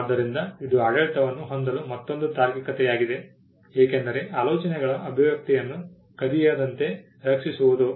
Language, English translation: Kannada, So, that is another rationale for having a regime because you had to protect the expression of ideas from being stolen